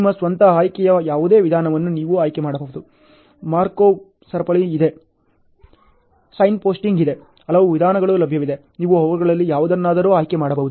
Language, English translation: Kannada, You can choose any method of your own choice; Markov chain is there, Signposting is there, so many methods are available you can choose any of them